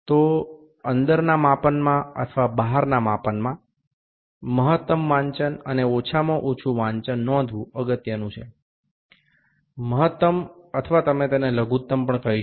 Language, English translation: Gujarati, So, in inside measurements or in outside measurements it is important to note the maximum reading and the smallest reading; maximum and you call it minimum